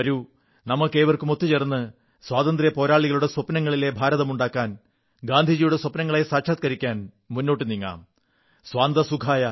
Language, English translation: Malayalam, Come, let us all march together to make the India which was dreamt of by our freedom fighters and realize Gandhi's dreams 'Swantah Sukhayah'